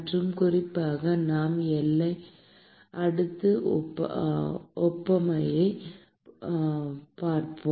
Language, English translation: Tamil, And specifically, we will be looking at the boundary layer analogy